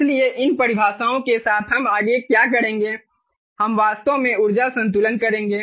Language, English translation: Hindi, ok, so with these definitions, what we will do next is we will actually do the energy balance